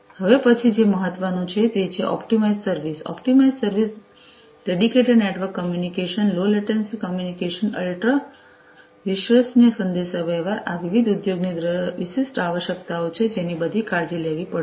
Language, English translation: Gujarati, What is next important is the optimized service, optimized service, dedicated network communication, low latency communication, ultra reliable communication, these are the different other industry specific requirements that will all have to be, you know, care to